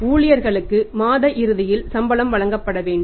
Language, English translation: Tamil, Salaries I have to be paid to the Employees at the end of the month